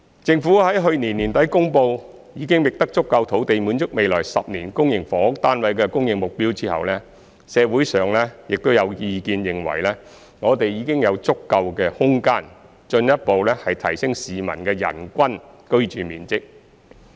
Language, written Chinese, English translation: Cantonese, 政府在去年年底公布已覓得足夠土地滿足未來10年公營房屋單位的供應目標後，社會上有意見認為我們已有足夠空間，進一步提升市民的人均居住面積。, Following the Governments announcement at the end of last year that it had identified sufficient land to meet the target for the supply of public housing units in the next 10 years there is a view in society that we have sufficient space to further increase the average living space per person